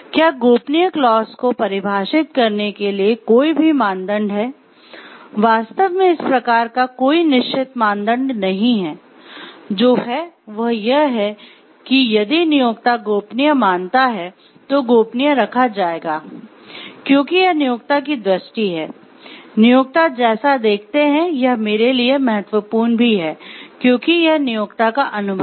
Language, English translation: Hindi, So, the criteria for defining the confidential clause are, actually there is no fixed criteria as such, it is what an employer considers to be confidential, shall be kept confidential, because it is the employers vision, employers view like this is important for me and it is the employer’s perception also